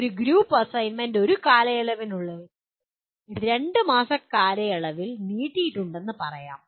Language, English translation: Malayalam, A group assignment done over a period of let us say stretched over a period of 2 months